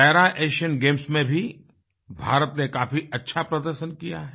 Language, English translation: Hindi, India also performed very well in the Para Asian Games too